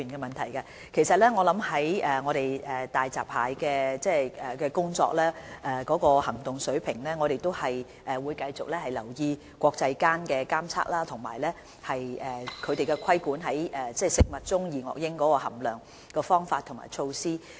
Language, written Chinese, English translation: Cantonese, 關於就大閘蟹訂立的行動水平，我們會繼續留意國際間的檢測工作，以及規管食物中的二噁英含量的方法和措施。, With regard to the action level set for hairy crabs we will continue to pay attention to the testing of dioxins as well as the methods and measures to regulate the level of dioxins in food on international level